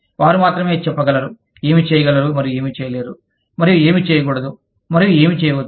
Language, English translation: Telugu, They can only say, what can and cannot be done, and should and should not be done